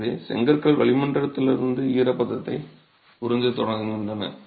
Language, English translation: Tamil, So, the brick starts absorbing moisture from the atmosphere